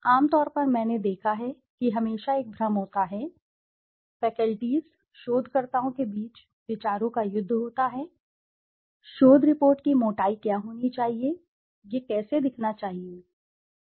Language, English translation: Hindi, Generally I have seen that there is always a confusion, there is a war of thoughts in between faculties, researchers, what should be the thickness of the research report, how should it look and all